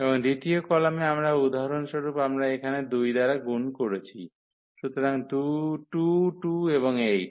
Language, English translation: Bengali, And in the second column we can place for instance we multiplied by 2 here, so 8 and 2